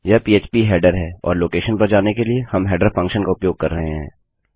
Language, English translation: Hindi, This is php header and we are using header function going to a location